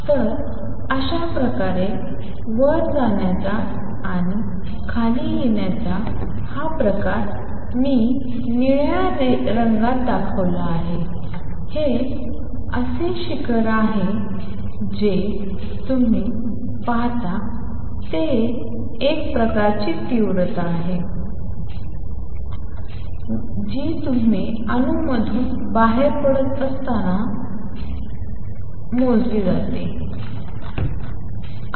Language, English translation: Marathi, So, this is how this kind of going up and coming down this kind of peak I have shown in blue is the kind of peak that you see is kind of intensity you measure when light is coming out of an atom that is emitting, alright